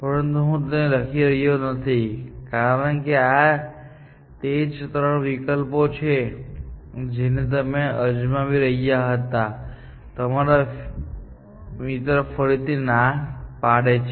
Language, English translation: Gujarati, I will not write them, but these are the same three options; what you are trying, and your friend again, says, no, essentially